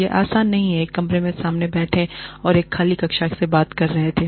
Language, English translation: Hindi, It is not easy, sitting in front of a camera, and talking to an empty classroom